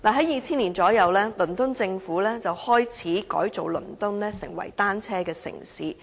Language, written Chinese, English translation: Cantonese, 約於2000年，倫敦政府開始改造倫敦成為單車友善城市。, Around 2000 the London Government began to transform London into a bicycle - friendly city